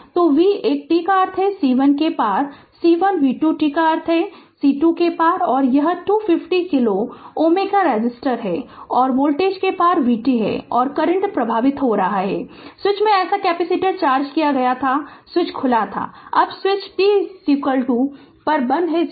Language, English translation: Hindi, So, v one t means across C 1 v 2 t means across C 2 and this is 250 kilo ohm resistor and across the voltage is vt and current flowing through is i t and switch was such capacitor was charged, switch was open now switch is closed at t is equal to 0 right